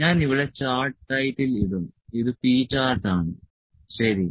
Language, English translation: Malayalam, So, this is I will put the chart title here this is P chart, ok